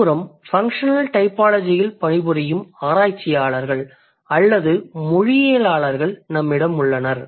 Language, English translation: Tamil, Then on the other hand we have researchers or linguists who are working on the functional typology